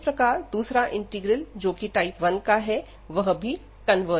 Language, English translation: Hindi, And hence the given integral the second integral, which was the type 1 integral that also converges